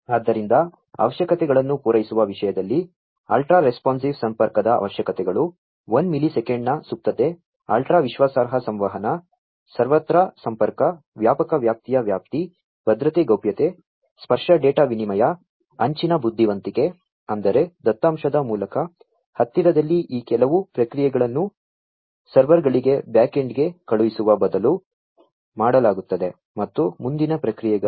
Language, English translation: Kannada, So, in terms of fulfilling requirements, requirements of ultra responsive connectivity, latency in the order of 1 millisecond, ultra reliable communication, ubiquitous connectivity, wide range of coverage, security privacy, tactile data exchange, edge intelligence; that means, close to the source of the data some of these processing is going to be done instead of sending everything to the back end to the servers and so on, for further processing